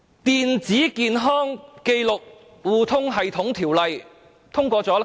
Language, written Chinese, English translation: Cantonese, 《電子健康紀錄互通系統條例》又通過了多久？, And for how long has the Electronic Health Record Sharing System Ordinance been passed?